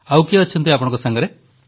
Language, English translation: Odia, Who else is there with you